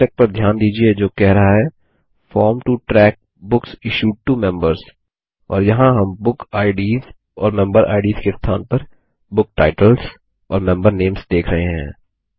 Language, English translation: Hindi, Notice the heading that says Form to track Books issued to Members And here we see book titles and member names instead of bookIds and memberIds